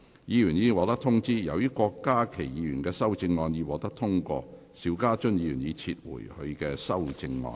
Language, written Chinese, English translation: Cantonese, 議員已獲通知，由於郭家麒議員的修正案獲得通過，邵家臻議員已撤回他的修正案。, Members have already been informed as Dr KWOK Ka - kis amendment has been passed Mr SHIU Ka - chun has withdrawn his amendment